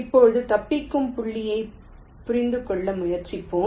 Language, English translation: Tamil, now let us try to understand the escape points